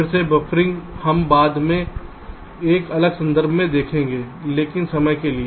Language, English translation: Hindi, buffering again, we shall see later in a different context, but for the time being, thank you